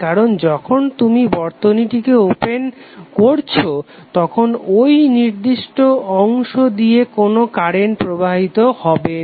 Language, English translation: Bengali, Because when it is open circuited there would be no current flowing in this particular segment right